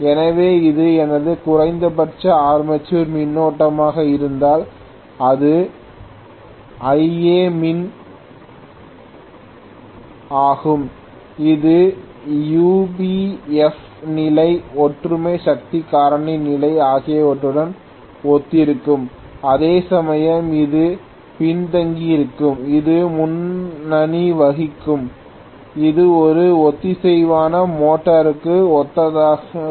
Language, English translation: Tamil, So, if this is my minimum armature current this is Ia minimum this will also correspond to UPF condition, unity power factor condition whereas this will be lagging and this will be leading, this is corresponding to a synchronous motor